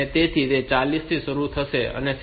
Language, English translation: Gujarati, So, it will start at forty four and 6